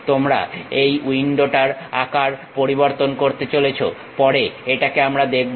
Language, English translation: Bengali, You want to change the size of this window which we will see it later